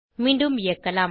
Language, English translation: Tamil, Lets run again